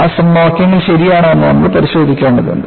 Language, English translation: Malayalam, And, we need to verify whether those equations are correct